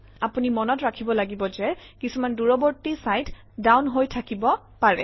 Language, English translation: Assamese, You have to keep in mind that its likely that some of the remote sites may be down